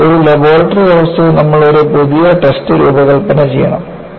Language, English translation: Malayalam, So, in a laboratory condition, you have to design a new test